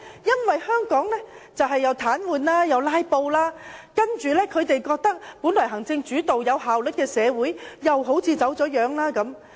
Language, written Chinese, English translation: Cantonese, 因為香港立法會出現癱瘓和"拉布"，本來由行政主導而具有效率的社會又好像走了樣。, The reason is that the Legislative Council of Hong Kong has been paralysed due to filibusters . The once effectively - run and executive - led society has been distorted